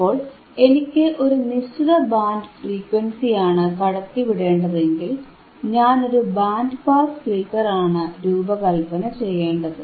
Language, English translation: Malayalam, So, if I want to pass a certain band of frequency, then I hadve to design a filter which is which will be my band pass filter, right